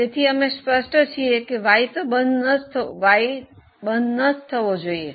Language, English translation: Gujarati, So, Y should not be closed is very clear